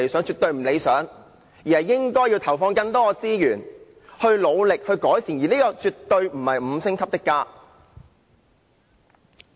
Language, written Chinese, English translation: Cantonese, 政府應該投放更多資源努力改善，而這亦絕對不是甚麼"五星級的家"。, The Government should put in more resources to make further improvements and the shelter is definitely not a five - star home